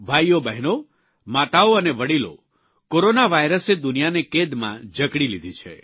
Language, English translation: Gujarati, Brothers, Sisters, Mothers and the elderly, Corona virus has incarcerated the world